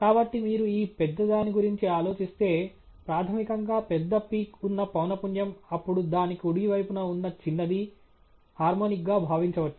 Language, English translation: Telugu, So, if you think of this big one the frequency at which there is a big peak as a fundamental then approximately the tinier one to the right of that, can be thought of as a harmonic